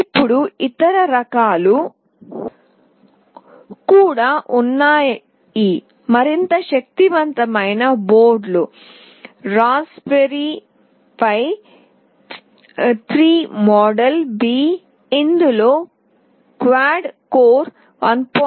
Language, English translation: Telugu, Now, there are even more powerful boards one of which is Raspberry Pi 3 model B, which consists of quad core 1